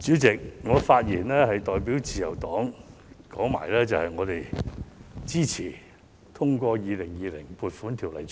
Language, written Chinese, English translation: Cantonese, 主席，我發言是代表自由黨表達我們支持通過《2020年撥款條例草案》。, Chairman I speak on behalf of the Liberal Party in support of the passage of the Appropriation Bill 2020